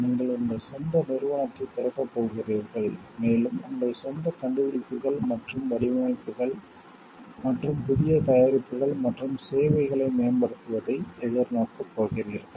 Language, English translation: Tamil, You are going to open up your own firm and you are going to look forward to your own inventions and designs and developing new products and services